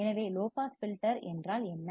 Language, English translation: Tamil, So, what does low pass filter means